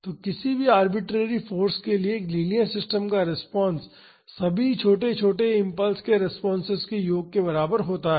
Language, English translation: Hindi, So, response of a linear system to any arbitrary force is equal to the sum of the responses of all small small impulses